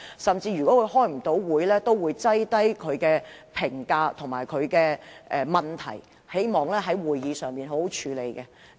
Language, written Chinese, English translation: Cantonese, 他若未能出席會議，也會事先送交他的意見和問題，希望能在會議上好好處理。, If he cannot attend a particular meeting he will give his views and questions in advance so that they can be addressed at the meeting